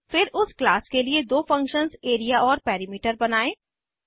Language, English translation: Hindi, Then Create two functions of the class as Area and Perimeter